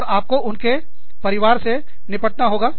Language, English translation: Hindi, And, you have to deal with families